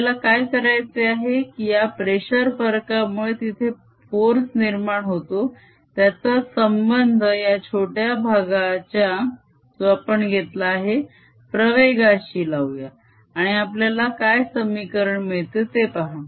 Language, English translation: Marathi, what we want a to do is see this pressure difference, what force does it create, relate that to the acceleration of this small portion that we have taken and see what the, what is the equation that we get